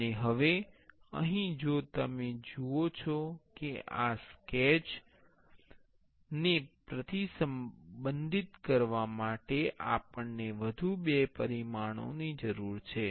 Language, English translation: Gujarati, And now here if you see we need two more dimensions to constrain this sketch